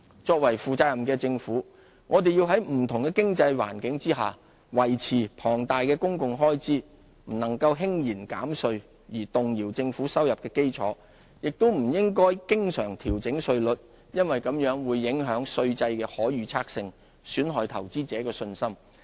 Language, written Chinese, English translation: Cantonese, 作為負責任的政府，我們要在不同的經濟環境下維持龐大的公共開支，不能輕言減稅而動搖政府收入的基礎；亦不應經常調整稅率，因為這會影響稅制的可預測性，損害投資者的信心。, As a responsible government we have to cope with the huge expenditure needs under different economic scenarios . We cannot propose a tax cut which erodes our revenue base . Neither can we adjust our tax rates frequently as this would affect the predictability of our tax regime and dent investor confidence